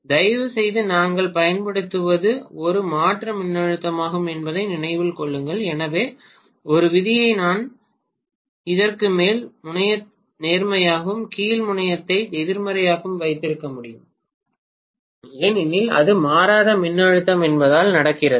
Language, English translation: Tamil, Please remember what we are applying is an alternating voltage, so as a rule I can’t have the top terminal to be positive and bottom terminal to be negative all the time that will not happen because it is alternating voltage